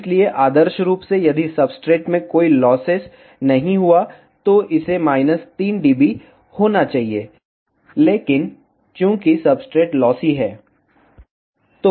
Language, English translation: Hindi, So, ideally if there were no losses in the substrate, it should be minus 3 dB, but since the substrate is lossy